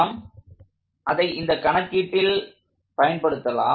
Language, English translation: Tamil, So, let us complete this calculation